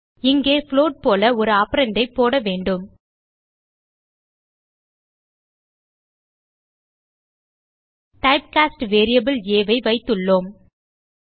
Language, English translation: Tamil, Here one of the operands has to be cast as float We have type cast variable a